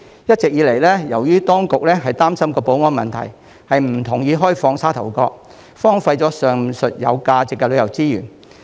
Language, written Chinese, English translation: Cantonese, 一直以來，當局擔心保安問題，不同意開放沙頭角，上述有價值的旅遊資源因而荒廢。, The authorities have all along been concerned about the security issue and refused to open up Sha Tau Kok thus leaving the aforementioned valuable tourism resources derelict